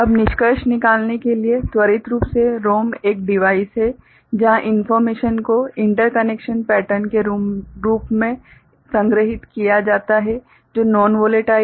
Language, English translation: Hindi, Quickly to conclude ROM is a device where information is stored in the form of interconnection pattern which is non volatile